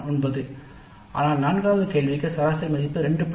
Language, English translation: Tamil, 9 but for fourth question the average value is only 2